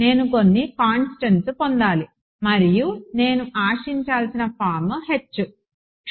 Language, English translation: Telugu, I should get some constants and H that is the form I should expect